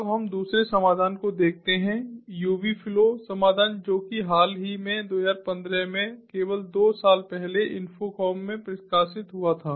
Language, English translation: Hindi, now let us look at the second solution, the ubi flow solution, which was published in infocom very recently, two thousand fifteen, only, two years back